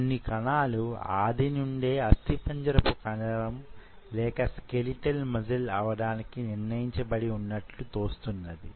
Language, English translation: Telugu, So there are certain cells which are predestined to become skeletal muscle, right